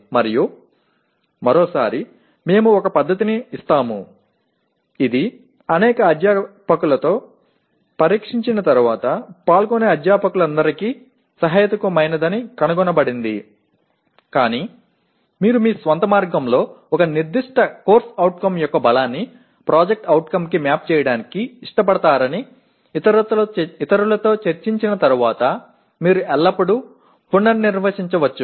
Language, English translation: Telugu, And once again we give one method which after testing out with several faculty, which was found to be reasonable to all the participating faculty; but you can always redefine after discussing with others saying that you would prefer to map the strength of a particular CO to PO in your own way